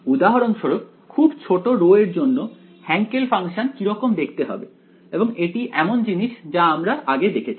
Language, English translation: Bengali, So, this is for example, how the Hankel function looks like for very small rho and this is something you have already seen